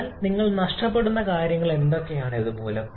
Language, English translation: Malayalam, But what are the things that you are losing because of this